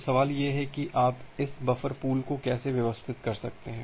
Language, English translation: Hindi, So, the question comes that how can you organize this buffer pool